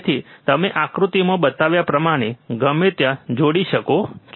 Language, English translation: Gujarati, So, you can do it anywhere connect the circuit as shown in figure